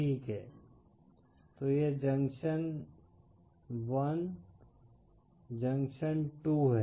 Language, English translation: Hindi, Ok so this is junction 1, junction 2